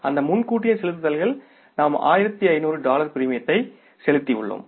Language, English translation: Tamil, Those advance payments we had paid the premium of $1,500 but actually premium due was $375